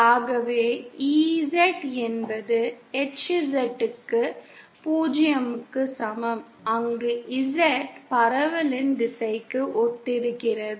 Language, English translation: Tamil, So we have EZ is equal to HZ equal to 0, where Z corresponds to the direction of propagation